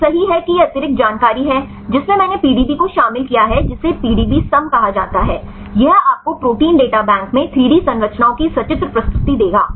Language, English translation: Hindi, So, right this is the additional information, which I include the PDB that is called PDBsum, this will give you the pictorial presentation of the 3D structures in protein data bank right